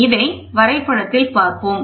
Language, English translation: Tamil, So, let us just put this in diagram